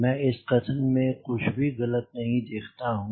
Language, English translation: Hindi, i do not see anything wrong in his statement